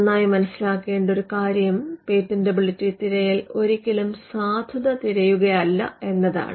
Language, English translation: Malayalam, Now one thing that needs to be understood well is that a patentability search is not a search of validity